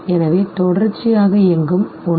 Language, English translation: Tamil, So something that runs in continuation